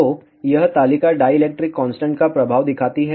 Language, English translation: Hindi, So, this table shows effect of the dielectric constant